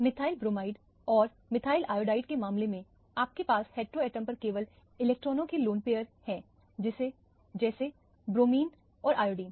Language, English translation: Hindi, In the case of methyl bromide and methyl iodide, you have only lone pair of electrons on the heteroatom namely the bromine and iodine